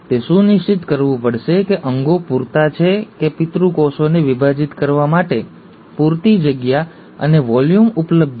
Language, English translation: Gujarati, It has to make sure the organelles are sufficient, that there is a sufficient space and volume available for the parent cell to divide